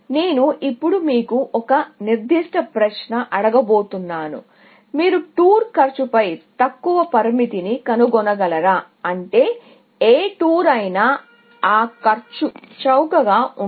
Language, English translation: Telugu, I am asking you a specific question now; can you find a lower bound on the tour cost; which means that no tour can be cheaper than that cost